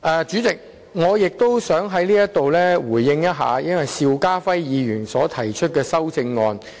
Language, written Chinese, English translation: Cantonese, 主席，我也想在此回應邵家輝議員的修正案。, President I also wish to respond to Mr SHIU Ka - fais amendment here